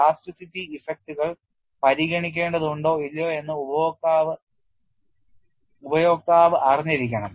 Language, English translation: Malayalam, The user must know whether or not plasticity effects need to be considered